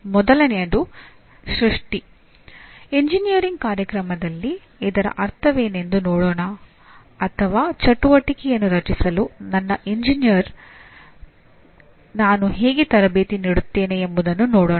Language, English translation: Kannada, First thing is creation, let us look at what exactly it means for an engineering program or how do I train my engineer for create activity